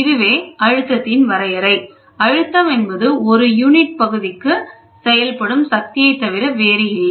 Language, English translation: Tamil, So, this is the definition for pressure, pressure is nothing but force acted per unit area